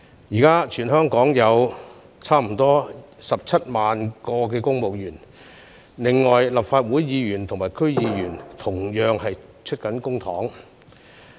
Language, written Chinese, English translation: Cantonese, 現時全港約有17萬名公務員，另外立法會議員和區議員同樣以公帑支薪。, Currently some 170 000 civil servants in Hong Kong as well as the Legislative Council Members and DC members are all remunerated by public money